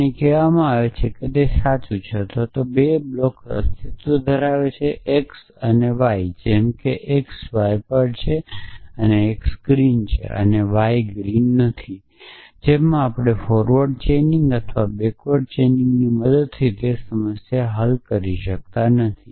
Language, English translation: Gujarati, And we are said that is it true or does there exist 2 blocks x and y such that x is on y and x is green and y is not green in we cannot solve that problem using in the forward chaining or backward chaining